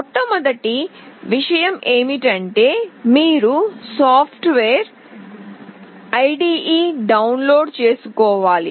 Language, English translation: Telugu, The first and foremost thing is that you need to download the software, the IDE